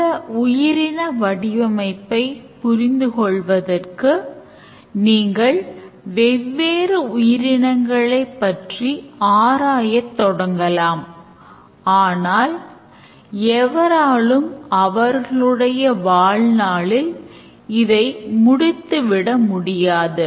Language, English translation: Tamil, So, in order to understand this life form, if you go on examining various species, nobody can complete the study in his lifetime